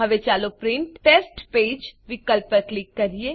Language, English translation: Gujarati, Lets click on Print Test Page option